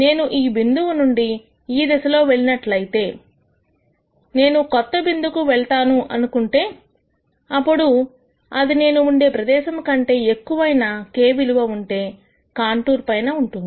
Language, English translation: Telugu, I also know that as I go away from this point in this direction, let us say I go to a new point, then that would be on a contour where the value of k is larger than where I was here